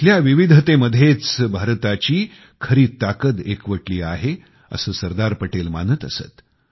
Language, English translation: Marathi, SardarSaheb believed that the power of India lay in the diversity of the land